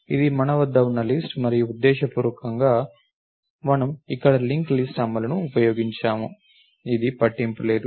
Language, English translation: Telugu, So, this is what we have is the list and purposely we used a link list implementation here, it is simply does not matter